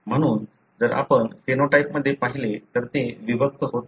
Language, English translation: Marathi, So, if you look into the phenotype, it doesn’t segregate